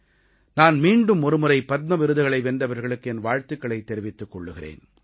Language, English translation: Tamil, Once again, I would like to congratulate all the Padma award recipients